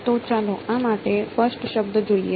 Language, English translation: Gujarati, So, let us look at the first term for a